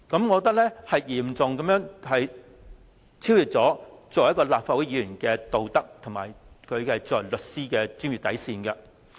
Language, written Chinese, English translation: Cantonese, 我認為此舉已嚴重超越立法會議員的道德，以及他身為律師的專業底線。, I think his such acts had grossly contravened the moral code of Members of this Council as well as the code of professional conduct of lawyers